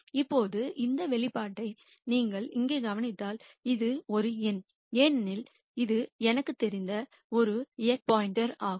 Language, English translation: Tamil, Now, if you notice this expression right here this is a number because this is an x star that I know